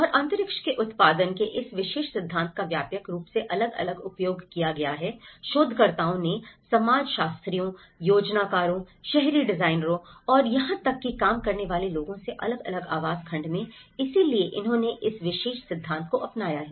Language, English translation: Hindi, And this particular theory of production of space has been widely used from different researchers varying from sociologists, planners, urban designers and even the people working in the housing segment so they have adopted this particular theory